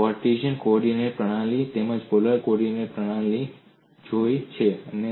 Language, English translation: Gujarati, We have looked that in Cartesian coordinate systems